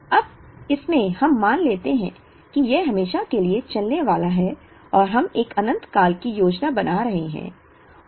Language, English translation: Hindi, Now, in this we assume that this is going to go on forever and we are planning for an infinite period